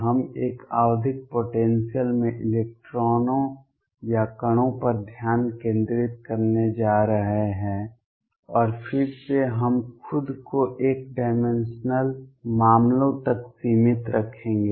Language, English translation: Hindi, We are going to focus on electrons or particles in a periodic potential and again we will restrict ourselves to one dimensional cases